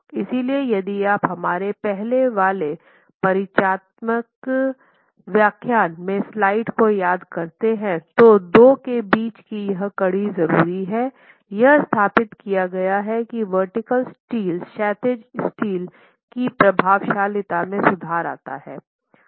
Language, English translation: Hindi, If you remember one of our earlier slides in the introductory lecture, it is established that the vertical steel improves the effectiveness of the horizontal steel